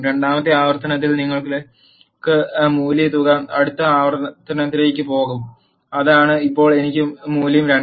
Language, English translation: Malayalam, In the second iteration you have the value sum as one it will go to the next iteration; that is now the i value is 2